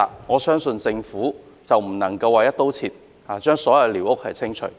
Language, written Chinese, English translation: Cantonese, 我認為政府不能"一刀切"，將所有寮屋清除。, I do not think the Government should take an across - the - board approach and demolish all squatter huts